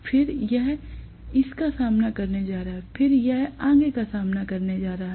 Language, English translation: Hindi, Then this is going to face it, then this is going to face it and so on and so forth